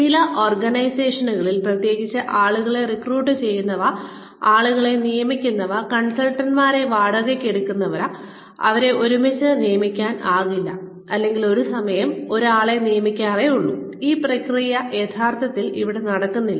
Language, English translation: Malayalam, In some organizations, especially those, that recruit people, that hire people on, you know hire consultants, and do not hire them in bulk, or that hire people one at a time, this process is not really happening there